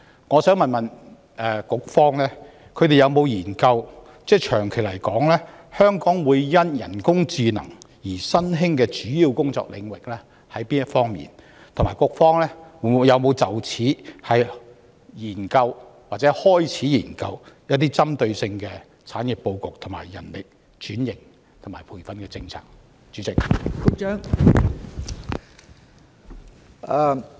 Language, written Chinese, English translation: Cantonese, 我想問局方有否研究，長遠而言，香港因為人工智能而會出現哪方面的新興主要工作領域，以及局方有否就此研究或開始研究一些針對性的產業報告、人力轉型及培訓政策？, I have a question for the Bureau . Has the Bureau looked into any new major types of jobs that will be created in Hong Kong in the long run because of AI? . In this connection has the Bureau looked into or started to look into any corresponding industry reports and the manpower transformation and formulate any training policies?